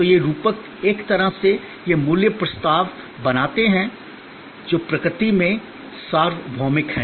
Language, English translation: Hindi, So, these metaphors in a way it create value propositions, which are universal in nature